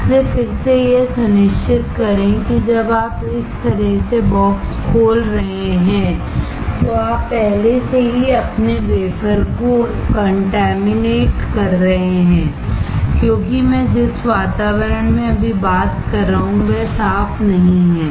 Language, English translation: Hindi, So, again please make sure that, when you are opening the box like this you are already contaminating your wafer because the environment in which I am talking right now, is not clean